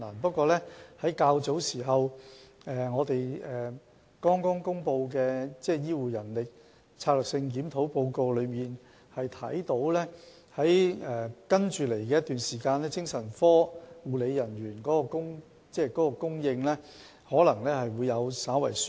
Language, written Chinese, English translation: Cantonese, 不過，從早前剛公布的"醫療人力規劃和專業發展策略檢討報告"可見，在接下來的一段時間，精神科護理人員的供應可能會稍為紓緩。, However according to the recently published Report of Strategic Review on Healthcare Manpower Planning and Professional Development the shortage of psychiatric nursing staff would be relieved in the future